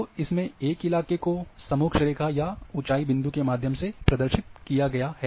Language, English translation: Hindi, So, it is having the terrain terrain representation through contour lines or point heights